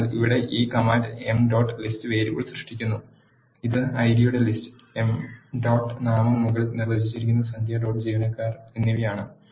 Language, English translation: Malayalam, So, this command here creates m dot list variable which is a list of the ID, emp dot name and num dot employees that are defined above